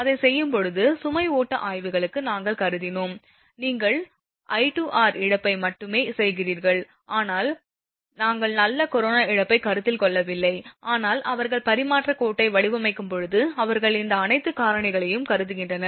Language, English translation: Tamil, We considered for load flow studies while doing it, you are making only I square r loss, but we are not considering corona loss, but when they design the transmission line they consider all these factors